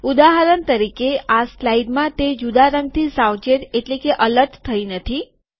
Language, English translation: Gujarati, For example, in this slide, it does not alert with a different color